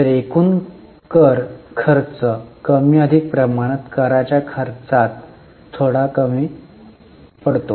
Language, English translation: Marathi, So total tax expenses are more or less constant